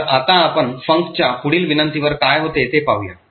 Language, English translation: Marathi, So, now let us look at what happens on subsequent invocations to func